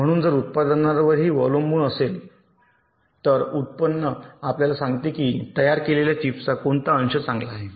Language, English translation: Marathi, so if also depends on the yield, wield, yield actually tells you that what is the fraction of the chips that are fabricated, which are good